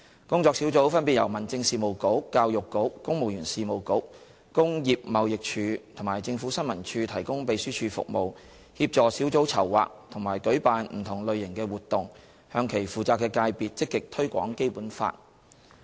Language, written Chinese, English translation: Cantonese, 工作小組分別由民政事務局、教育局、公務員事務局、工業貿易署及政府新聞處提供秘書處服務，協助小組籌劃和舉辦不同類型的活動，向其負責的界別積極推廣《基本法》。, These working groups are respectively supported by the Home Affairs Bureau the Education Bureau the Civil Service Bureau the Trade and Industry Department and the Information Services Department in terms of secretariat services as well as assistance in planning and organizing different types of activities to proactively promote the Basic Law to their responsible sectors